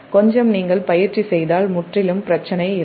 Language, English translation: Tamil, little bit you practice, then absolutely there is no problem